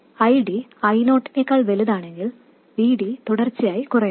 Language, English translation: Malayalam, If ID is smaller than I 0, VD is actually increasing